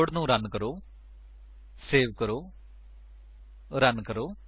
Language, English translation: Punjabi, Let us run the code, save, run